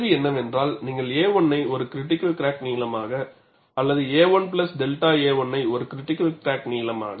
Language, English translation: Tamil, The question is, would you report a 1 as a critical crack length or a 1 plus delta a 1 as a critical crack length